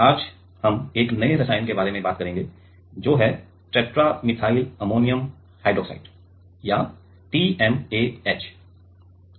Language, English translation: Hindi, Now today, we will talk about 1 new chemical that is tetra methyl ammonium hydroxide or TMAH